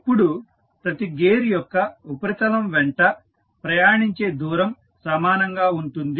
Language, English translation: Telugu, Now, the distance travelled along the surface of each gear is same